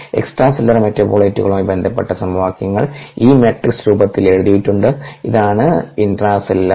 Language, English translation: Malayalam, the equations corresponding to extracellular metabolites have been written in this matrix and this is the intracellular one